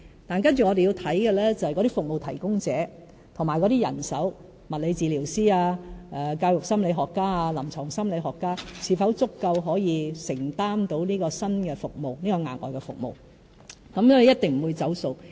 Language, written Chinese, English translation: Cantonese, 但接着我們要檢視的是服務提供者和人手，例如物理治療師、教育心理學家或臨床心理學家是否足夠可以承擔額外服務，一定不會"走數"。, Our next step is to review the adequacy of service providers and manpower to see if the supply of physiotherapists education psychologists or clinical psychologists for example can support the additional services . There will be no broken promises